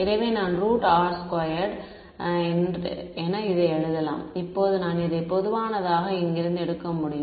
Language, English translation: Tamil, So, I can write this as R squared square root now I can take this common from here